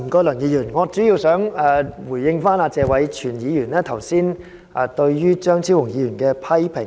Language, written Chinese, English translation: Cantonese, 梁議員，我主要想回應謝偉銓議員剛才對張超雄議員的批評。, Mr LEUNG I mainly wish to respond to the criticisms made by Mr Tony TSE of Dr Fernando CHEUNG just now